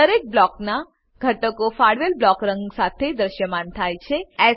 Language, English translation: Gujarati, Elements of each Block appear with alloted block color